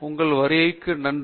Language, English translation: Tamil, Thank you for coming